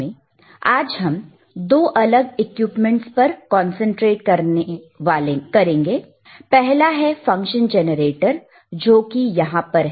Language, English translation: Hindi, And here today we will concentrate on two different equipments: one is function generator which is right over here